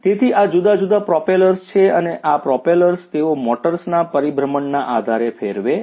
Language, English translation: Gujarati, So, these are these different propellers and these propellers they rotate by virtue of the rotation of the motors